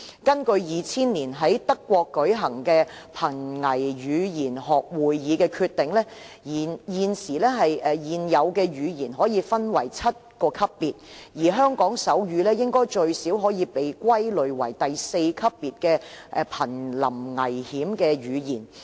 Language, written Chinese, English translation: Cantonese, 根據2000年在德國舉行的瀕危語言學會議的決定，現有的語言可以分為7個級別，而香港手語應該最少可以被歸類為第四級別的瀕臨危險的語言。, According to a decision reached at a meeting on endangered languages in Germany in 2000 languages can be divided into seven categories and the sign language in Hong Kong can at least be categorized as at level four endangerment